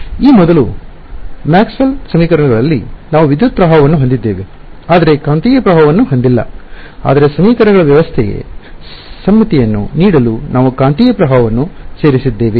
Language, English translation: Kannada, It is just like how in Maxwell’s equations earlier we had an electric current, but no magnetic current right, but we added a magnetic current to give symmetry to the system of equations